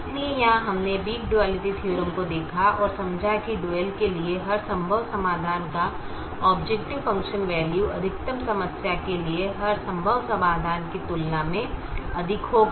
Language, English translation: Hindi, so here we saw the weak duality theorem and understood that every feasible solution to the dual will have an objective function value greater than that of every feasible solution to the maximization problem